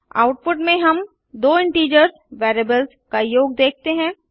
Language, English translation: Hindi, So this method will give us the sum of two integer variables